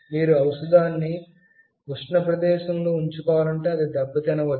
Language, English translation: Telugu, If you want to keep the medicine in a very hot place, it might get damaged